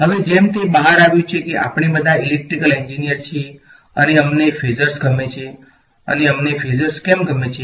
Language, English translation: Gujarati, Now, as it turns out we are all electrical engineers and we like phasors and why do we like phasors